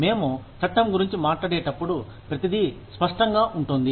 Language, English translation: Telugu, When we talk about the law, everything is clear cut